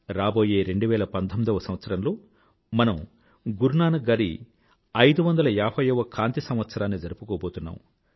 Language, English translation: Telugu, Come 2019, we are going to celebrate the 550th PRAKASH VARSH of Guru Nanak Dev ji